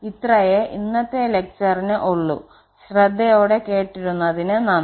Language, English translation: Malayalam, So, that is all for this lecture and I thank you for your attention